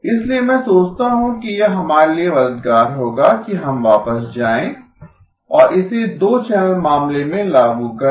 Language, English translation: Hindi, So I thought it would be helpful for us to go back and apply this to the two channel case